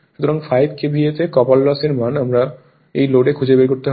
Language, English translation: Bengali, So, copper loss, we have to find out at this load